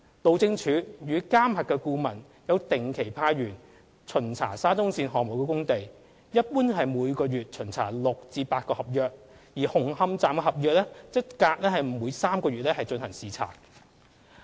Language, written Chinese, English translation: Cantonese, 路政署與監核顧問有定期派員巡查沙中線項目工地，一般每月巡查6至8個合約，而紅磡站合約則每隔約3個月進行視察。, HyD and the MV consultant visit the sites of SCL regularly . In general about six to eight works contracts are visited in a month and the works contract of Hung Hom station is visited about once in every three months